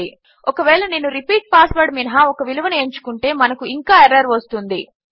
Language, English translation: Telugu, If I again choose a value except the repeat password, we still get this error